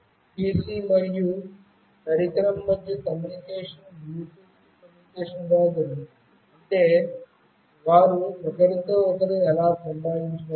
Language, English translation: Telugu, The communication between the PC and the device is done through Bluetooth communication that is how they communicate with each other